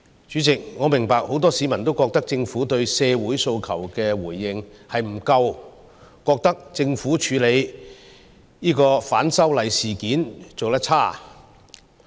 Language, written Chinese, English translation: Cantonese, 主席，我明白很多市民均認為政府對社會訴求的回應不足，政府處理反修例事件的做法有欠理想。, President I know that many people think that the Government has not made enough efforts to respond to aspirations in society and that its approach in handling the anti - extradition bill incident is far from satisfactory